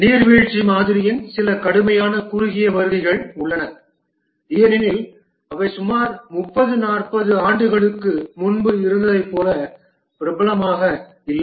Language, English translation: Tamil, There are some severe shortcomings of the waterfall model because of which they are not as popular as they were about 30, 40 years back